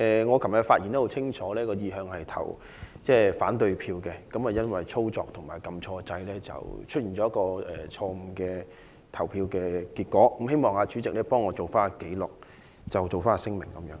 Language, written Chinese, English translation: Cantonese, 我昨天的發言很清楚，我的意向是投反對票，但因為在操作上按錯按鈕，所以出現了錯誤的投票結果，希望代理主席將我的聲明記錄在案。, I made it very clear in my speech yesterday that I intended to vote against it but an operational mistake of pressing the wrong button produced a wrong voting result . I hope the Deputy President will put my declaration on record